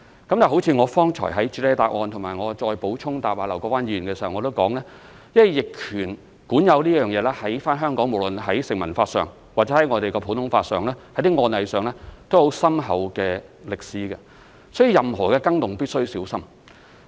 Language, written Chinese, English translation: Cantonese, 但是，正如我剛才在主體答覆及我答覆劉國勳議員的補充質詢時提到，因為香港在逆權管有方面，無論在成文法、普通法和案例方面均有很深厚的歷史，所以任何更動都必須小心。, However as I said in my main reply and in my reply to Mr LAU Kwok - fans supplementary question just now Hong Kong has a profound history in adverse possession in terms of statue law common law and case law . Thus any changes must be made with care